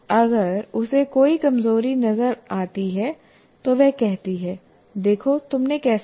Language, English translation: Hindi, If she spots weakness, she says, look at how you have done